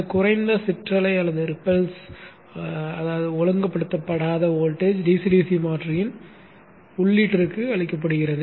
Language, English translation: Tamil, This low ripple unregulated voltage is fed to the input of the DC DC converter